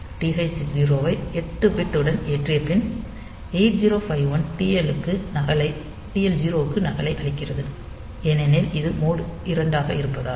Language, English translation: Tamil, So, TF 0 is cleared then this after TH0 is loaded with eight bit 8051 gives a copy of it to TL0 since it is mode 2